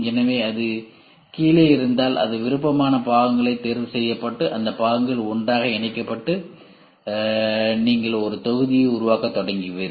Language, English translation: Tamil, So, if it is bottom up it is preferred parts are chosen and these parts are put together and you start forming a module